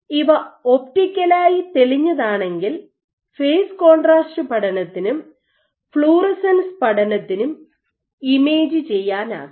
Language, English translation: Malayalam, So, you if these optically clear then you can image hem for doing phase contrast studies as well as fluorescence studies